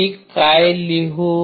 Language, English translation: Marathi, What will I write